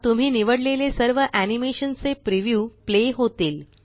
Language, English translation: Marathi, You can also select more than one animation to preview